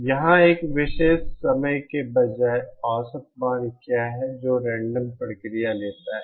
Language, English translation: Hindi, Here, instead of at a particular instant of time what is the average value that the random process takes